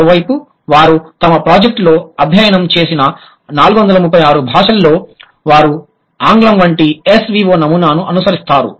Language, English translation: Telugu, On the other hand, 436 languages that they have studied in their project, they follow S V O pattern like English